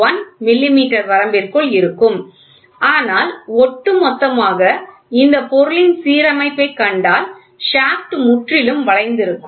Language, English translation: Tamil, 1 millimeter it will fall in that range, but overall if you see the alignment of this component the shaft is completely bend